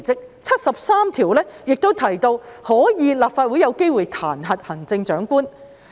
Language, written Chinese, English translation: Cantonese, 第七十三條亦提到，立法會可以彈劾行政長官。, Article 73 also provides that the Legislative Council may impeach the Chief Executive